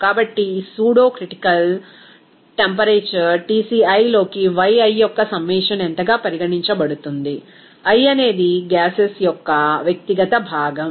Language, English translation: Telugu, So, this pseudocritical temperature will be regarded as what is the summation of Yi into Tci, i is for an individual component of that gases